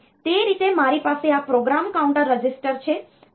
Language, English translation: Gujarati, So, that way I can have this this program counter register